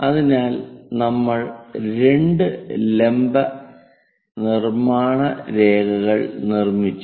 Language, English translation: Malayalam, So, two perpendicular lines construction lines we have done